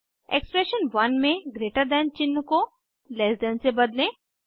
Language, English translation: Hindi, In expression 1 replace greater than sign with less than sign